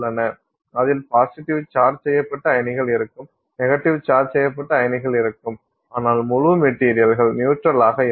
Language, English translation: Tamil, I mean there is a huge number of ionic solids where there are positively charged ions, negatively charged ions but the whole material is neutral